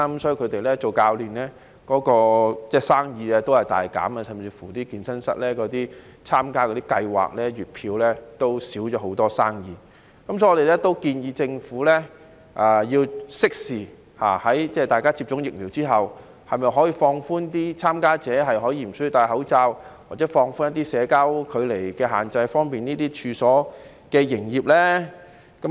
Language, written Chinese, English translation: Cantonese, 所以一眾教練的生意大減，甚至乎參加健身室月票計劃的生意也大減。所以我們建議政府要適時推行措施，待大家接種疫苗之後，考慮是否可以放寬參加者可以無須佩戴口罩，或者放寬一些社交距離的限制，以方便有關處所的營業呢？, For this reason we suggest that the Government implement timely measures and consider whether it is possible to relax the requirement so that participants after being vaccinated need not wear masks or to relax some restrictions on social distancing to facilitate business operation of the premises concerned